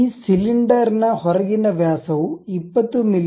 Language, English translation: Kannada, The outside diameter of this cylinder is 20 mm